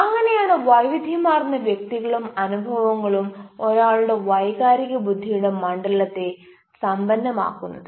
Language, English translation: Malayalam, so that is how diverse calls have been diverse experiences and enriches the domain of one s emotional intelligence